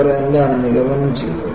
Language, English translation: Malayalam, And what they concluded